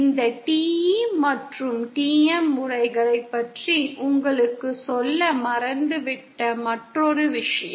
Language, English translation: Tamil, One other thing I forgot to tell you about this TE and TM modes